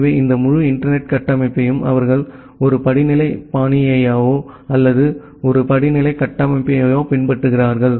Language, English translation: Tamil, So, that way this entire internet architecture they follows a hierarchical fashion or a hierarchical architecture